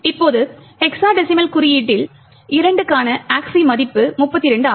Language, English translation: Tamil, Now the ASCI value for 2 in hexadecimal notation is 32